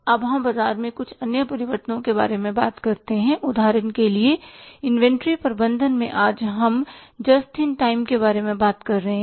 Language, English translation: Hindi, Now we talk about certain other changes in the market say for example in the inventory management today we are talking about just in time